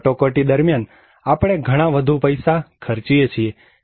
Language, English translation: Gujarati, Whereas, during the emergency, we are spending a lot more money